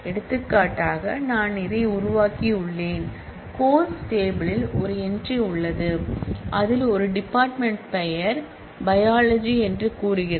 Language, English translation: Tamil, For example, I have created this and the course table has an entry, which has a department name say biology